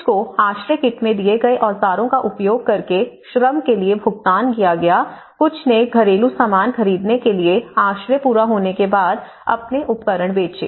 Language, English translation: Hindi, And some paid for the labour in kind using the tools they were given in the shelter kit and some sold their tools once shelters were complete to buy household furnishings